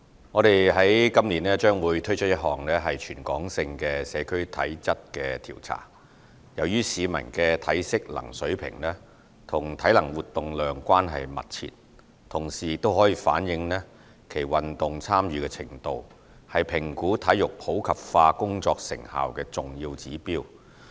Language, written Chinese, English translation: Cantonese, 我們今年將會推出一項全港性社區體質調查，由於市民的體適能水平與體能活動量關係密切，同時亦可反映其運動參與程度，是評估體育普及化工作成效的重要指標。, We will introduce a territory - wide Physical Fitness Survey for the Community this year . The physical fitness of the public is closely related to their physical activity level and at the same time it can reflect their participation in sports which is in turn an important indicator of the effectiveness of our work in promoting sports in the community